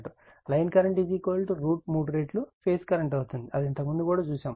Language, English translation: Telugu, So, line current will be is equal to root 3 times phase current, this we have seen earlier also